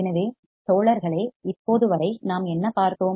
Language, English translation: Tamil, So, guys, until now what have we seen